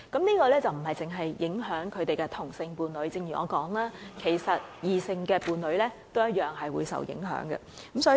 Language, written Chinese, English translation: Cantonese, 因為這不單會影響死者的同性伴侶，正如我所提及，異性伴侶也同樣會受影響。, As I mentioned earlier this requirement will not only affect same - sex partners but also opposite - sex partners